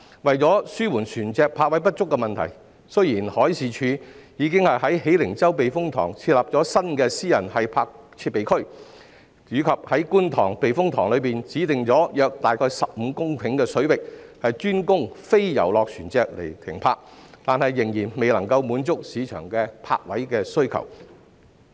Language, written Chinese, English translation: Cantonese, 為紓緩船隻泊位不足的問題，海事處已在喜靈洲避風塘設立新的私人繫泊設備區，以及在觀塘避風塘內指定約15公頃的水域，專供非遊樂船隻繫泊，但仍然未能滿足市場的泊位需求。, In order to alleviate the shortage of vessel berthing spaces the Marine Department has set up a new private mooring area at the Hei Ling Chau Typhoon Shelter and designated 15 hectares of space for the exclusive mooring of non - pleasure vessels in the Kwun Tong Typhoon Shelter . Despite these efforts it still fails to meet the market demand for berthing spaces